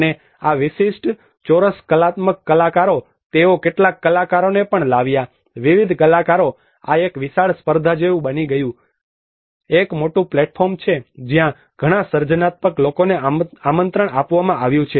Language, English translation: Gujarati, And these particular squares the artistic they also brought some artists, various artists this has become almost like a huge competition there is a big platform where a many creative people were invited